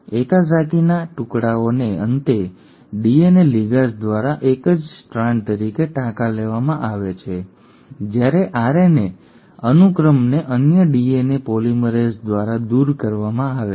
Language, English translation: Gujarati, The Okazaki fragments are finally stitched together as a single strand by the DNA ligase while the RNA sequences are removed by another DNA polymerase